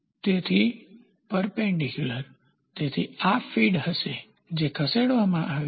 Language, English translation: Gujarati, So, perpendicular, so this will be the feed which has been moved